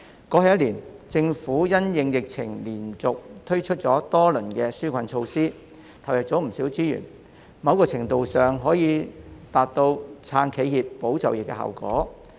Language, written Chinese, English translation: Cantonese, 過去一年，政府因應疫情連續推出多輪紓困措施，投入了不少資源，某程度上可以達到"撐企業、保就業"的效果。, In the past year the Government successively rolled out multiple rounds of relief measures in response to the pandemic by putting in many resources . To a certain extent this has achieved the effect of supporting enterprises and safeguarding jobs